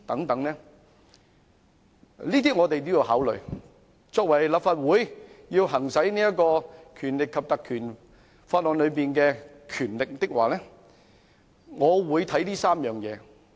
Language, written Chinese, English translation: Cantonese, 這些條件我們要考慮，立法會要行使《立法會條例》賦予的權力的話，我會考慮以上3方面。, We have to take into account these three conditions when considering whether the Legislative Council should exercise the power conferred by the Legislative Council Ordinance